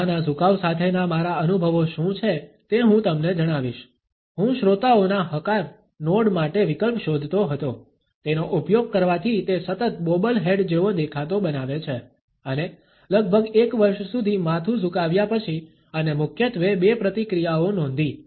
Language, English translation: Gujarati, Let me tell you what my experiences with the head tilt are; I was looking for an alternative for the listeners nod, using it perpetually makes one look like a bobble head and after approximately one year of head tilting and noticed mainly two reactions